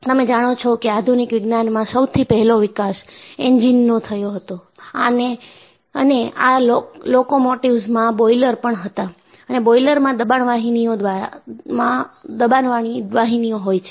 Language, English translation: Gujarati, You know one of the earliest development in modern Science was, they had developed locomotives and locomotives had boilers and boilers are essentially pressure vessels